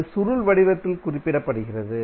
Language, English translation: Tamil, This is represented in the form of coil